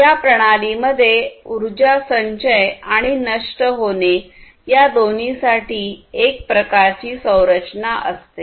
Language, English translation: Marathi, And these systems will have some kind of mechanism for energy storage and dissipation both, right